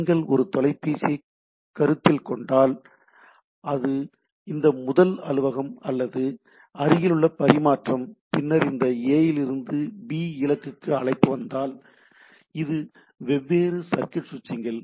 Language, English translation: Tamil, If you consider a telephone then it is this first office or this nearest exchange then a switch to that, if there is a call from this A to destination B so, it goes on different switching circuit, circuit so like things are established